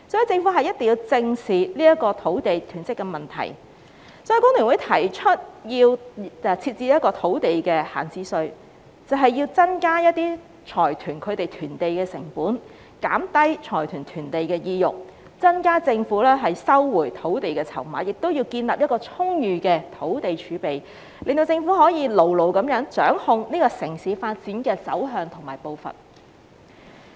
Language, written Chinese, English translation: Cantonese, 政府一定要正視土地囤積的問題，所以工聯會提出設置土地閒置稅，增加財團囤地的成本，減低財團囤地的意欲，增加政府收回土地的籌碼，亦要建立充裕的土地儲備，令政府可以牢牢地掌控城市發展的走向和步伐。, The Government must address the land hoarding problem squarely . Thus FTU has proposed introducing an idle land tax to increase the cost of land hoarding by consortiums and reduce their incentives to hoard land . This will increase the chips for land resumption by the Government and help build up an abundant land reserve so that the Government can securely control the citys development direction and pace